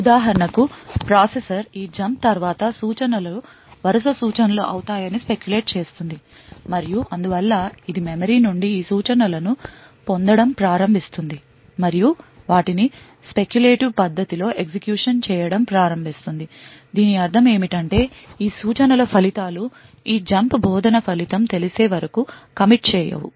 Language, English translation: Telugu, For example the processor would speculate that the instructions following this jump would be the consecutive instructions and therefore it will start to fetch these instructions from the memory and start to execute them in a speculative manner, what this means is that the results of these instructions are not committed unless and until the result of this jump instruction is known